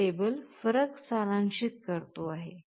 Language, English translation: Marathi, The table summarizes the differences